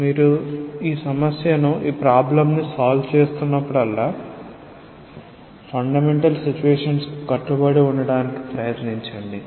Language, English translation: Telugu, So, whenever you are solving a problem try to adhere to the fundamental situations